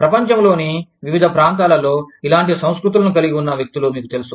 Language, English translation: Telugu, You know, people having similar cultures, in different parts of the world